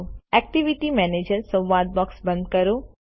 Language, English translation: Gujarati, Lets close the Activity Manager dialog box